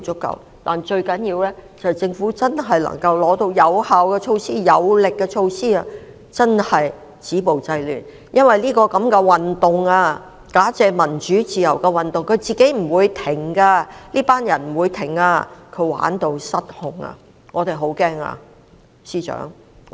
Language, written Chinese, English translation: Cantonese, 不過，最重要的是政府真的能夠提出有效而有力的措施，真正做到止暴制亂，因為這個假借民主自由的運動，不會自行停止的，這些人不會停止，他們已經玩到失控。, Yet the most important point is that the Government can introduce effective and powerful measures to really achieve the purpose of stopping violence and curbing disorder for this movement carried out on the pretext of democracy and freedom will not stop voluntarily . These people will not stop as they have been carried away and lost their head already